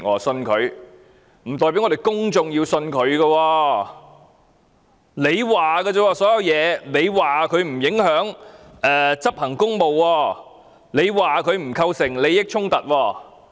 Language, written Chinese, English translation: Cantonese, 張司長說，鄭若驊的所作所為沒有影響她執行公務，沒有構成利益衝突。, Chief Secretary said that what Teresa CHENG had done did not affect her in performing her official duties and did not constitute a conflict of interest